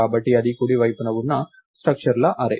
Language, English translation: Telugu, So, this is an array of structures on the right side